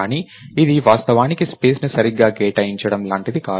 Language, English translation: Telugu, But this is not the same as actually allocating space right